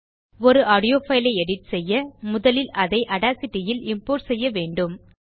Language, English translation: Tamil, To edit an audio file, we need to first import it into Audacity